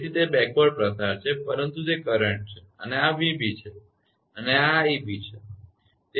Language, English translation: Gujarati, So, it is backward propagation, but it is current this is v b and this is ib right